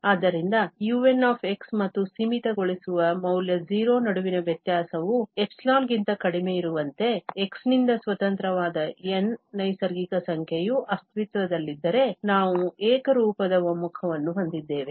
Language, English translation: Kannada, So, if there exists a natural number N independent of x such that this difference between the un and the limiting value 0 is less than epsilon, then we have the uniform convergence